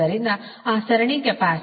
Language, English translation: Kannada, next is that series capacitor